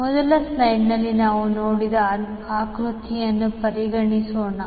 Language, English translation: Kannada, Let us consider the figure which we saw in the first slide